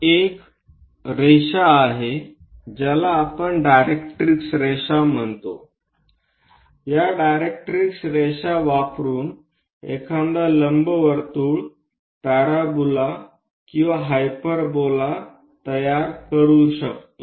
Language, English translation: Marathi, And there is a line which we call directrix line, about this directrix line one will be in a position to construct an ellipse parabola or a hyperbola